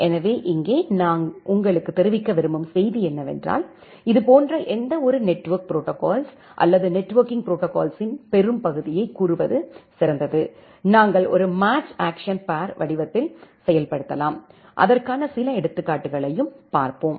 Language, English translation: Tamil, So here, the message that I want to convey to you is that any such network protocol or better to say most of the networking protocol, we can implement in the form of a match action pair, where we will see some examples of that as well